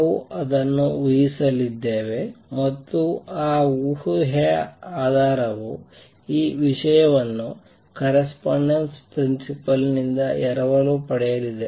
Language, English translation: Kannada, We are going to assume that and our basis of that assumption is going to be borrowing this thing from the correspondence principle right